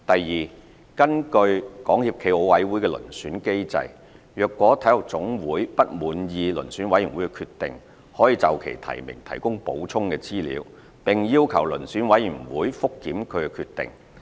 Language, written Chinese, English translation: Cantonese, 二根據港協暨奧委會的遴選機制，若體育總會不滿意遴選委員會的決定，可就其提名提供補充資料，並要求遴選委員會覆檢其決定。, 2 In accordance with the selection mechanism of SFOC if an NSA is dissatisfied with the decisions of the Selection Committee it may provide supplementary information and request a review by the Selection Committee